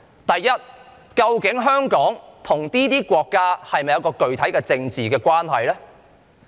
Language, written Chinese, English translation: Cantonese, 第一，究竟香港與這些國家是否有具體的政治關係？, Firstly does Hong Kong have any concrete political relationship with these countries?